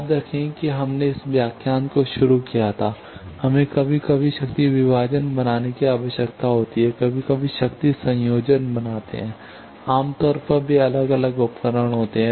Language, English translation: Hindi, Remember what we started this lecture with that we need to sometimes make power divisions sometimes make power combiner, generally they are different device